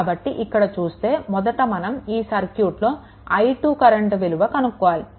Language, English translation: Telugu, So, what is the first you have to find out what is the value of i 2